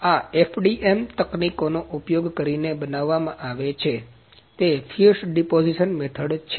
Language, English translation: Gujarati, These are produced using FDM technologies; that is Fuse Deposition Method